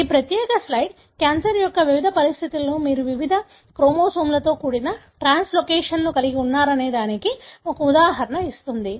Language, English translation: Telugu, This particular slide gives an example as to how in different conditions of cancer you have translocations involving various chromosomes